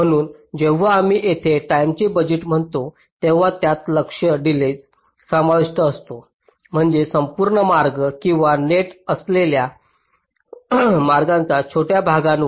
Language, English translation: Marathi, so when we say timing budgets here they include target delays along, i means either an entire path or along shorter segment of the paths, which are the nets